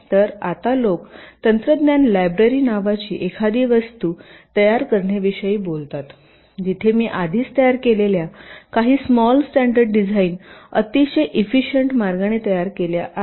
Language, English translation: Marathi, so now people talk about creating something called ah technology library where some of the small standard designs i have already created in a very efficient way